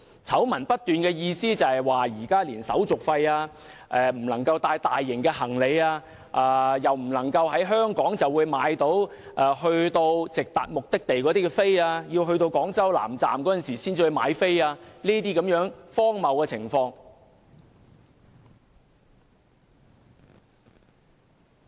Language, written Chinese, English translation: Cantonese, 醜聞不斷是指購買車票要加收手續費，乘車不能攜帶大型行李，不能在香港購買非直達城市以外的目的地的車票，要抵達廣州南站才能買票等荒謬情況。, An avalanche of scandals refer to such absurdities as charging handling fees for buying train tickets forbidding train passengers to carry bulky luggage not allowing passengers to buy tickets in Hong Kong for destinations other than cities that can be reached by direct trains meaning that such tickets can only be bought in Guangzhou South Railway Station